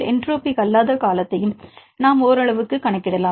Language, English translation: Tamil, So, if you can do that; then non entropic term also we can account to some level